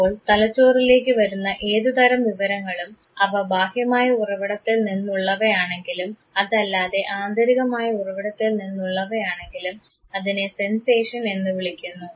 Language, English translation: Malayalam, So, any information that comes to brain whether it is through the any external source or it is through the internal source this is called Sensation